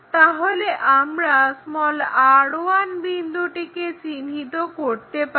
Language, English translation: Bengali, Now, we have to locate r 1', r 2'